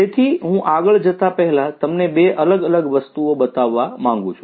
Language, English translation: Gujarati, So, before I go any further I would like to show you two different things